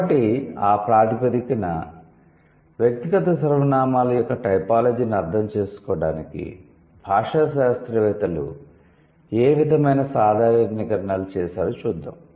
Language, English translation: Telugu, So, on that basis, let's see what sort of generalizations have been drawn in like has what sort of generalizations have been drawn by the linguists to understand the typology of personal pronouns